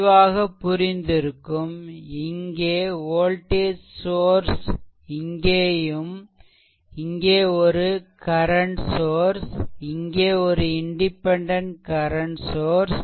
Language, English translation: Tamil, With this let me clear it and of course, here you have a one voltage source here and here you have 1 current source here also you have one independent current source right